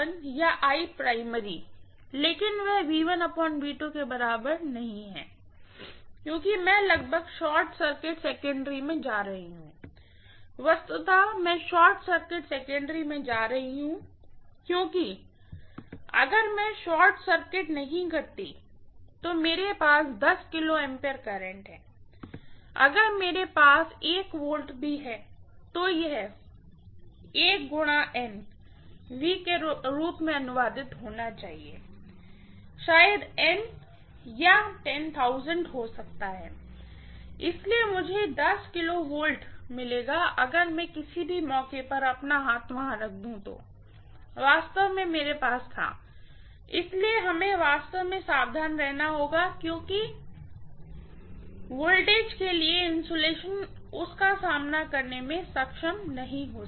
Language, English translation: Hindi, I2 by I1 or I primary, but that is not equal to V1 by V2 because I am going to literally short circuit the secondary, literally I am going to short circuit the secondary because if I do not short circuited, if I am having a 10 kilo ampere current, if I have even 1 V, it should be translated as maybe 1 multiplied by N V, N may be 10,000, so I will get 10 kilo volts any if I put my hand there by any chance I really had it, so we have to be really, really careful, because the insulation may not be able to withstand that kind of voltage, got it